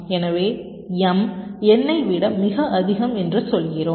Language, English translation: Tamil, so, as i said, m is much greater as compared to n